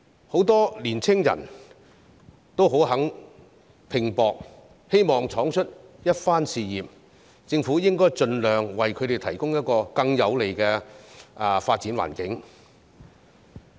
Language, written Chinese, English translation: Cantonese, 很多青年人也願意拼搏，希望闖出一番事業，政府應該盡量為他們提供一個更有利的發展環境。, As many young people are willing to go all out in work and achieve career success the Government should provide them with a more favourable development environment as far as possible